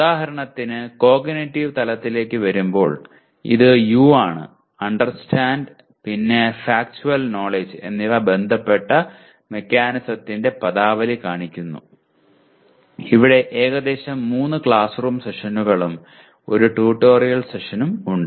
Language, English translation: Malayalam, Illustrate the terminology of mechanism that is related to Understand and Factual Knowledge and there are about 3 classroom sessions and 1 tutorial session